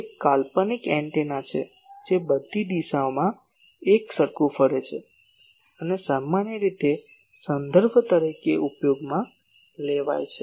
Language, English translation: Gujarati, It is a fictitious antenna sorry that radiates uniformly in all directions and is commonly used as a reference